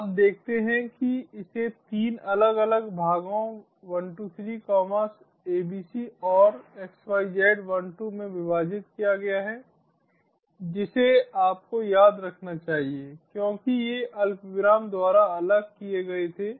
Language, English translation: Hindi, you see, it has been split into three different parts: one, two, three, abc and xyz, one, two, you must remember, since these were separated by comma